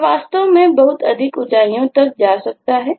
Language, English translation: Hindi, it can go to really very high heights